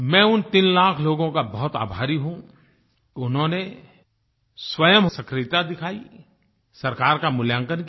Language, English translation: Hindi, I am grateful to these 3 lakh people that they displayed a lot of self initiative in rating the government